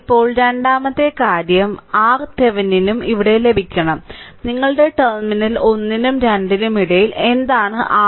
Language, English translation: Malayalam, Now, second thing is now we have to get the R Thevenin also here, your in between terminal 1 and 2, what is the R thevenin